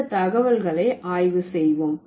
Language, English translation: Tamil, Let's analyze this data